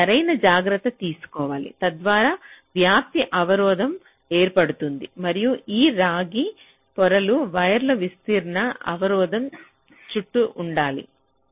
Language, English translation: Telugu, so proper care has to be taken so that a diffusion barrier is created, and this copper layers are wires must be surrounded by the diffusion barrier